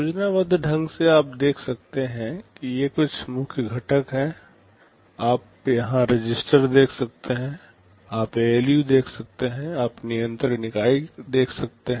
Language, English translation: Hindi, Schematically you can see these are the main components, you can see the registers here, you can see the ALU, you can see the control unit